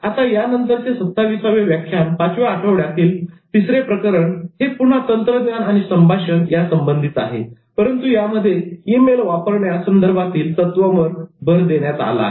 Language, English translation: Marathi, Now the next lecture, the 27th lecture in the fifth week, module 3, was again on technology and communication but focused on email principles